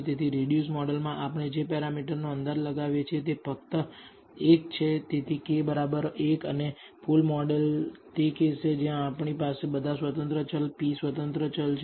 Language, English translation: Gujarati, So, the number of parameters we are estimating in the reduced model is only 1, so k equals 1 and the full model is the case where we have all the independent variables p independent variables